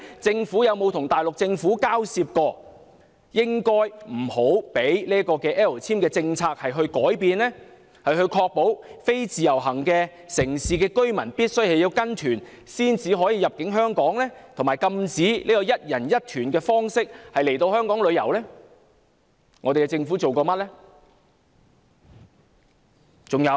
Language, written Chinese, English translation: Cantonese, 政府曾否與大陸政府交涉，不應改變 "L 簽"政策，以確保非自由行城市的居民必須跟團才可入境香港，以及禁止以"一人一團"的方式來香港旅遊呢？, Has the Government negotiated with the Mainland Government requiring that changes to the policy on L visa should be avoided to ensure that residents from cities not covered by IVS must enter Hong Kong by joining group tours and to prohibit the practice of one - visitor tour for visiting Hong Kong?